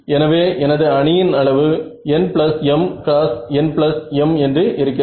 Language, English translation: Tamil, So, that is why my matrix size was n plus m cross n plus m